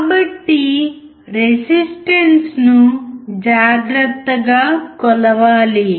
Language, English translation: Telugu, So the resistance has to be carefully measured accurately